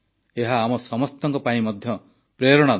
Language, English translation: Odia, This is an inspiration to all of us too